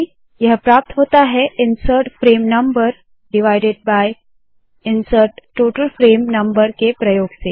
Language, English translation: Hindi, That is achieved using insert frame number divided by insert total frame number